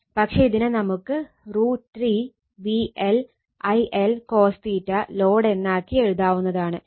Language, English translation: Malayalam, But, this can be written as root 3 V L I L cos theta load